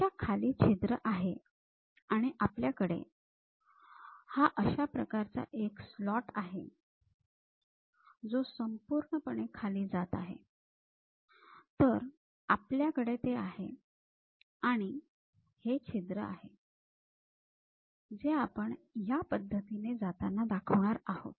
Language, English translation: Marathi, And, we have something like a slot which is going all the way down, we are having that and we have this hole which we are going to show it in this way